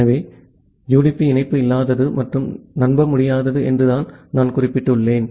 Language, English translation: Tamil, So, as I have mentioned that UDP is connectionless and unreliable